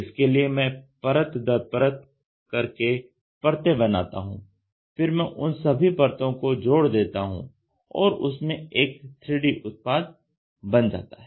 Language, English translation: Hindi, I make layer by layer by layer, I stitch those layer by layer by layer and make it into a 3 D physical object